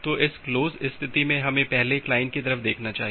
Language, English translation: Hindi, So, from this close state let us first look into the client side